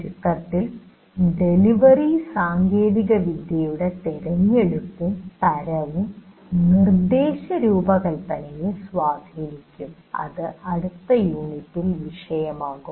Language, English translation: Malayalam, Now, again, to summarize, the choice of delivery technology and type of instruction chosen will influence the instruction design, which will be the topic for the next unit